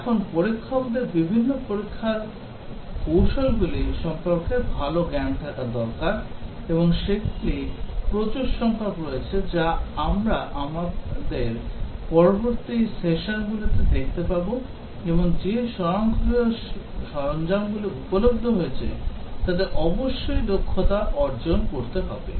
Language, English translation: Bengali, Now the testers need to have good knowledge of different testing techniques and there are large number of them as we will see in our subsequent sessions, and also the automated tools that have become available must develop a proficiency with those